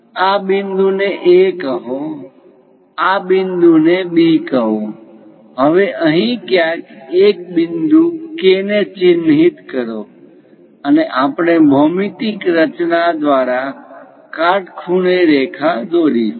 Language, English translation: Gujarati, Call this point A, call this point B; now mark a point K somewhere here, and we would like to draw a perpendicular line through geometric construction